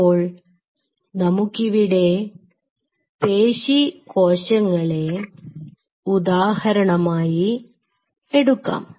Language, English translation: Malayalam, Let us take the example of skeletal muscle first